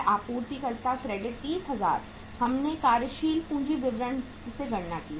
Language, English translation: Hindi, Suppliers credit 30,000 we have calculated from the working capital statement